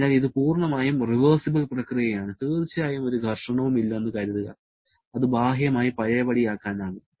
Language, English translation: Malayalam, So, it is a totally reversible process, of course assuming there is no friction, it is externally reversible